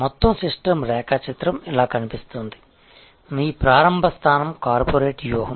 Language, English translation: Telugu, The overall system diagram will look something like this, that your starting point is corporates strategy